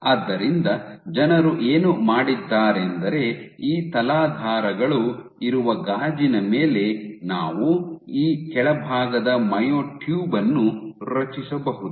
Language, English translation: Kannada, So, what people have done is then on glass you have these substrates where you create this bottom myotube